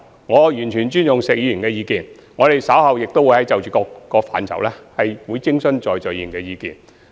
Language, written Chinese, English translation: Cantonese, 我完全尊重石議員的意見，稍後亦會就各個範疇徵詢在座議員的意見。, I fully respect the views of Mr SHEK and will later seek views from Members on different issues